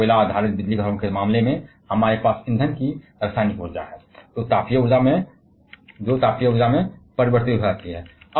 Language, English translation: Hindi, Like, in case of coal based power stations, we have chemical energy of fuel converted to the thermal energy